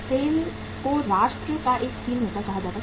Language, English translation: Hindi, SAIL was called as the steelmaker to the nation